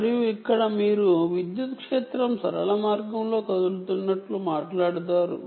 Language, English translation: Telugu, and here you talk about electric field moving along linear path